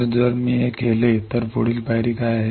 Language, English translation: Marathi, So, if I do this what is the next step